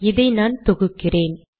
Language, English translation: Tamil, Let me compile this